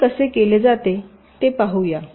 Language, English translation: Marathi, well, lets see how it is done